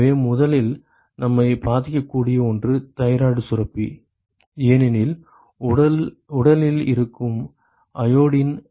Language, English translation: Tamil, So, so the first thing one of the first things that get us affected is the thyroid gland that is because, the iodine which is present in the body